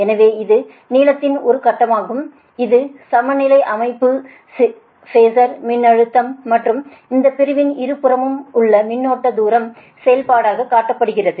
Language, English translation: Tamil, so this one phase of the length, this is actually balance system, right, the phasor voltage and current on both side of this segment are shown as a function of distance